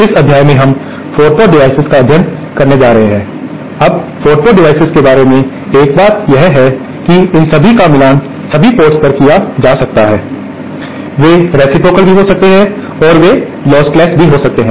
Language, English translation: Hindi, In this module we are going to cover 4 port devices, now one thing about 4 port devices is that they can all be matched at all ports, they can also be reciprocal and they can also be lost less